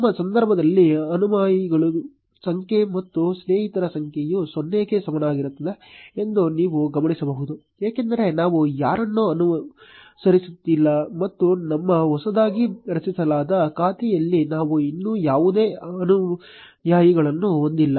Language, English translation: Kannada, You will notice that in our case the number of followers and the number of friends is equal to 0, because we are not following anyone and we do not have any followers yet in our freshly created account